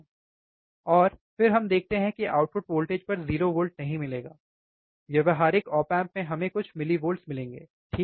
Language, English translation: Hindi, And then we understand that we will not see this output voltage 0 volt in practical op amp we will see some millivolts, alright